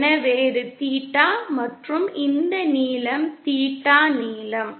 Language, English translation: Tamil, So this is theta and this length is theta length